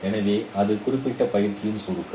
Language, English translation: Tamil, So that is a summary of this particular exercise